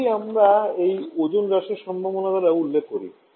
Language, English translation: Bengali, That is what we refer by this ozone depletion potential